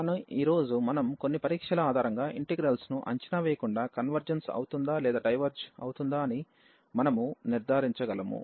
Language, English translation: Telugu, And with the basis of the evaluation indeed we can conclude whether the integral converges or it diverges